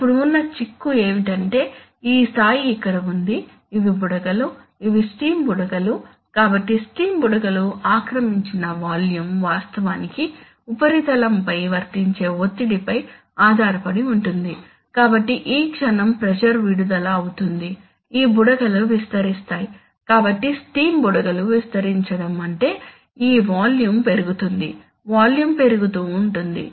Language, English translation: Telugu, Now, you see that, what, this, the crux of the matter is that, this level is here, there are bubbles these are steam bubbles, so the volume occupied by the steam bubbles actually depend on the pressure which is applied on the surface, so the moment this pressure will be released these bubbles will expand, so the expansion of steam bubbles which will mean that this volume will rise, volume will go up